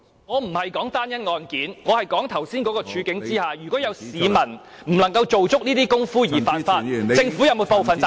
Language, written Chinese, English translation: Cantonese, 我不是指單一案件，我是說在剛才的處境下，如果有市民不能夠做足這些工夫而犯法，政府是否負有部分責任？, I am not referring to any specific case . I am saying that in the circumstance just mentioned whether the Government should be held partly responsible for people who breach the law because they cannot duly comply with the procedures